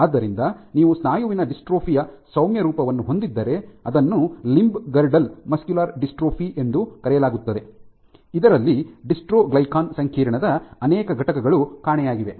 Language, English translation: Kannada, So, you can have a mild form of muscular dystrophy which is called limb girdle muscular dystrophy, in which multiple components of the dystroglycan complex are missing